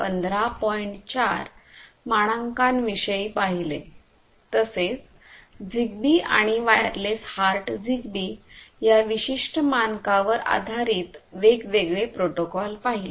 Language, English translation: Marathi, 4 standard in the previous lecture and the different protocols that are based on this particular standard like ZigBee and so on, wireless heart ZigBee and so on